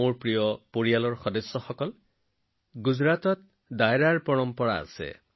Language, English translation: Assamese, My family members, there is a tradition of Dairo in Gujarat